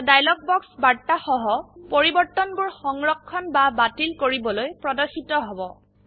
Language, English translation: Assamese, A dialog box with message Save or Discard changes appears